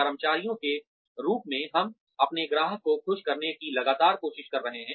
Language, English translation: Hindi, As employees, we are constantly trying to please our customers